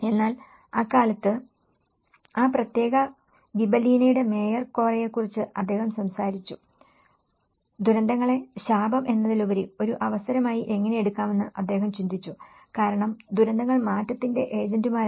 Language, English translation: Malayalam, But then at that time, the mayor of that particular Gibellina, mayor Corra he talked about, he thought about how disasters could be taken as an opportunity rather the curse because disasters are the agents of change